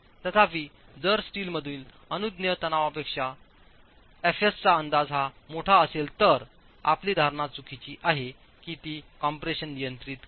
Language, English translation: Marathi, However, if this estimate of fs is larger than the permissible tensile stress in steel, then your assumption is wrong that compression controls